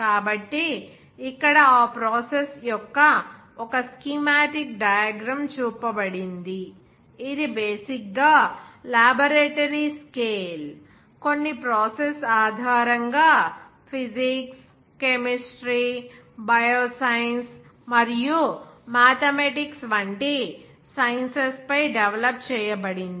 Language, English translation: Telugu, So here one schematic diagram of that process is shown of that is basically the laboratory scale some process is developed based on those sciences like physics, chemistry, bioscience, and mathematics